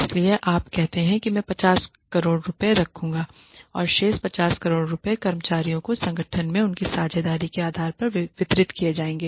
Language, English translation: Hindi, So, you say I will keep 50 crores and the rest of the 50 crores will be distributed to the employees depending on their stake in the organization